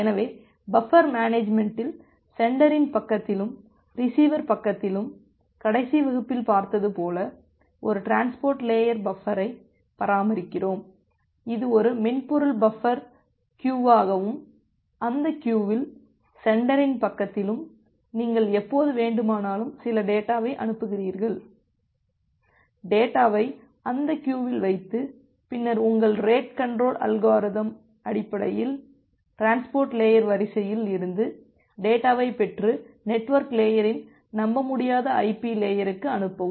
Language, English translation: Tamil, So, coming to the buffer management; so, as you have looked into the last class that at the sender side as well as at the receiver side, we maintain a transport layer buffer which is a software buffer maintain as a queue and in that queue, at the sender side, whenever you are sending some data, you put the data in that queue and then based on your rate control algorithm, the transport layer will fetch the data from the queue and send it to the unreliable IP layer of the network layer